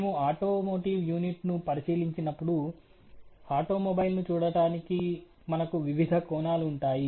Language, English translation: Telugu, When we look into an automotive unit, we will have different views of the automobile